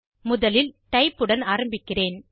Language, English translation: Tamil, First, I will begin with Type